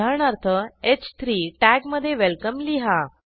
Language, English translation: Marathi, For example, put welcome in h3 tag